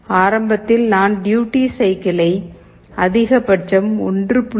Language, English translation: Tamil, And initially I set the duty cycle to the maximum 1